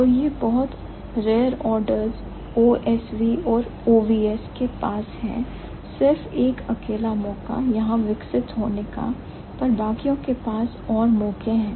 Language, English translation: Hindi, So, the very rare orders OSV and OVS have just a single chance to evolve only here, but the rest of them they have more chances